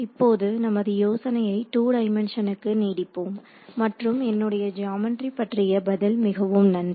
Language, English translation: Tamil, Now, we can extend this idea in two dimensions and the answer I mean the geometry again is very nice ok